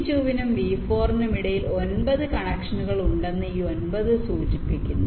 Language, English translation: Malayalam, this nine indicates there are nine connections between v two and v four